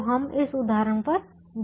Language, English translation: Hindi, so we go to this example